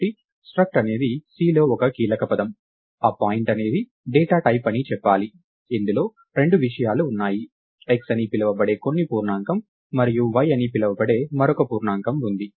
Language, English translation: Telugu, So, struct is a keyword in C, we say that point is a data type which has two things, some integer called x and another integer called y